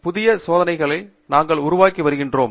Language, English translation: Tamil, Most of the time we are trying to do new experiments